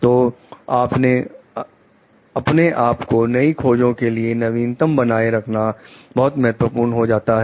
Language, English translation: Hindi, So, it is very important to like keep oneself updated about the new findings